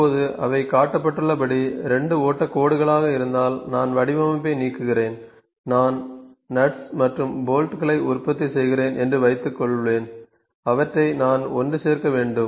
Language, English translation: Tamil, Now if they are 2 flow lines like this, I am deleting the drain, what I can do; for instance I am manufacturing nuts and bolts and I they need to assemble them